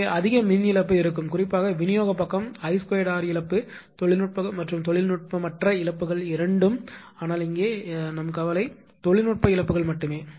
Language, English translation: Tamil, So, there will be heavy power loss particularly the distribution side I square r loss a technical and non technical both losses are available are there right , but our concern here is only that technical losses